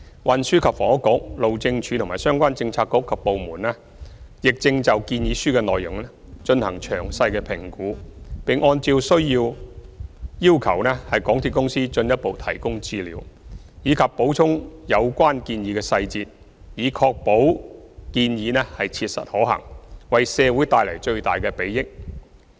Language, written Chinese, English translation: Cantonese, 運輸及房屋局、路政署和相關政策局及部門正就建議書的內容進行詳細評估，並按照需要要求港鐵公司進一步提供資料，以及補充有關建議的細節，以確保建議切實可行，為社會帶來最大的裨益。, The Transport and Housing Bureau HyD and the relevant bureauxdepartments are evaluating the proposals and have requested MTRCL to provide additional information and supplement details . In carrying out the evaluation our main focus is to ensure that the proposals are practically feasible and can bring maximum benefits to the society